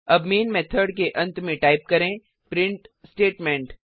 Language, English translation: Hindi, Now inside the Main method at the end type the print statement